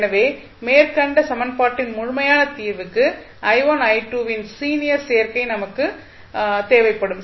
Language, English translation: Tamil, So, for the complete solution of the above equation we would require therefore a linear combination of i1 and i2